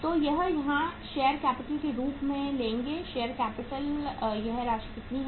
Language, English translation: Hindi, So we will take here as share capital, share capital uh this amount is how much